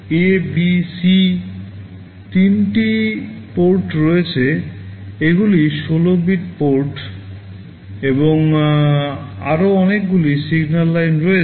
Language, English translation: Bengali, There are three ports A, B, C; they are 16 bit ports and there are many other signal lines